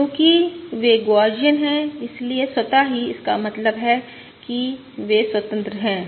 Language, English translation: Hindi, both of these are Gaussian, 0 mean and they are independent